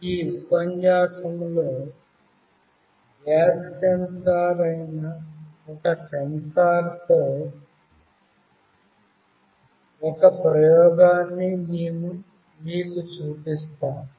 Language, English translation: Telugu, In this lecture, we will be showing you an experiment with a sensor which is a gas sensor